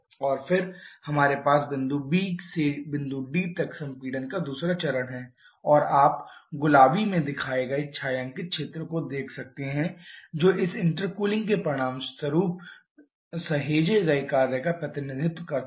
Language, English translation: Hindi, And then we have the second stage of compression from point B to point D and you can see the shaded area shown in pink which represents the work saved B as a result of this intercooling